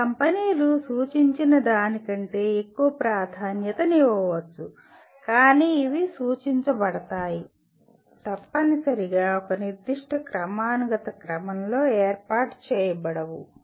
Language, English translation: Telugu, Some companies may consider something as a higher priority than what is indicated but these are indicative, not necessarily arranged in a particular hierarchical order